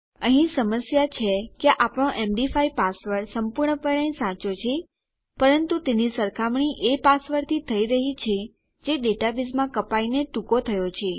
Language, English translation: Gujarati, The problem here is that our md5 password is absolutely correct but it is being compared to a password which is cut short in our database